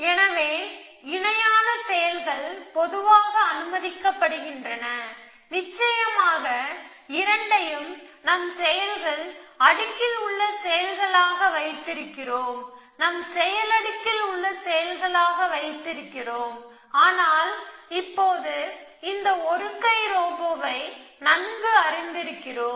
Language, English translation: Tamil, So, parallel actions are in general allowed, of course we have put both is actions in our action layer, but we know that, now familiar with this one arm robot